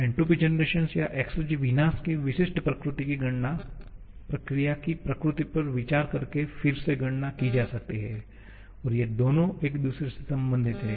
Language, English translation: Hindi, The specific nature of the entropy generation or exergy destruction that can be calculated again by considering the nature of the process and these two are related to each other